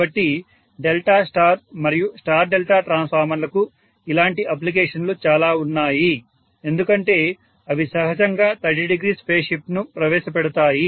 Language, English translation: Telugu, So delta star and star delta transformers have plenty of applications like this because of the fact that they inherently introduce 30 degree phase shift